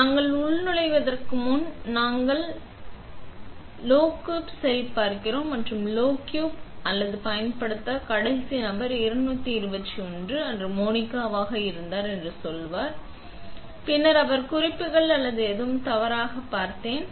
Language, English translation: Tamil, So, before we log in, we check the logbook and the logbook would say that the last person who used it was Monica on 221 and then I would check what notes she had or anything was wrong